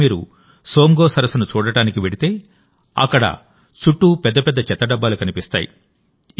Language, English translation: Telugu, Today, if you go to see the Tsomgolake, you will find huge garbage bins all around there